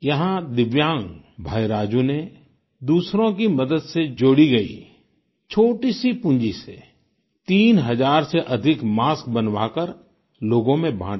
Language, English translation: Hindi, Divyang Raju through a small investment raised with help from others got over three thousand masks made and distributed them